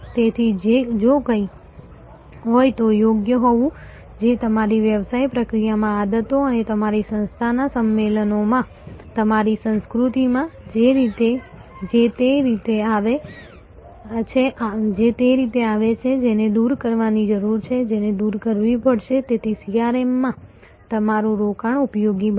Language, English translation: Gujarati, Therefore, to be proper if there is anything; that is in your culture in your business process in the habits and the conventions of your organization, that come in the way that has to be removed that has to be eliminated, so that your investment in CRM is useful